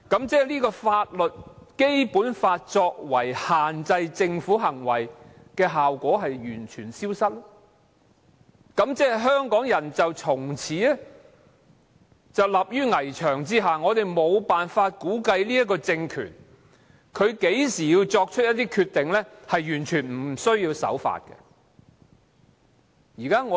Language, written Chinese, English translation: Cantonese, 即《基本法》限制政府行為的效果完全消失，香港人從此立於危牆之下，我們無法估計這個政權何時會作出完全無須守法的決定。, Is it not lawless? . That means the effect of the Basic Law on restricting the Governments actions will vanish . Hong Kong people will be exposed to great risks as we cannot foresee when this regime will make a decision in defiance of the law